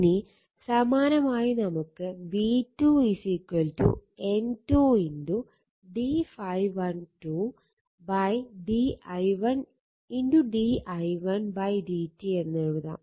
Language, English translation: Malayalam, So, that is v 2 is equal to N 2 d phi 1 2 upon d t